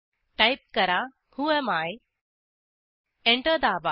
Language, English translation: Marathi, Type whoami Press Enter